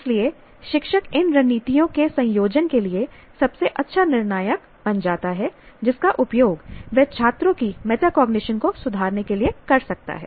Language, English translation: Hindi, So the teacher becomes the best judge to what combination of these strategies that he would like to use to improve the metacognition of students